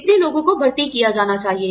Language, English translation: Hindi, These many people, should be recruited